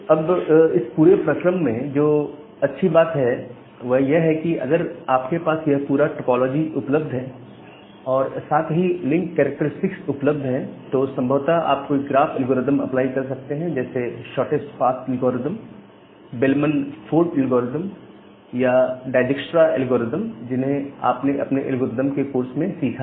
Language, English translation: Hindi, Now, in this entire thing the good thing is that if you have this entire topology available and the link characteristics available; so if you have this whole topology available along with this link characteristics available, then possibly you can apply certain graph algorithm like the shortest path algorithm that you have learnt in your algorithm course, like that Dijkstra’s algorithm or Bellman Ford algorithm to find out the shortest path